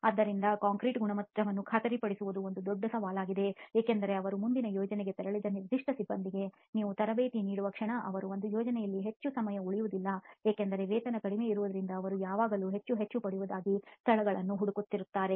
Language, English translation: Kannada, So ensuring concrete quality is a big challenge because the moment you train a certain set of personnel they probably moved on to the next project, they do not stay too long in one project obviously because the pay is low they always seek locations where they can get paid more and more, okay